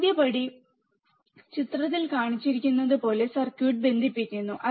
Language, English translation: Malayalam, First step is connect the circuit as shown in figure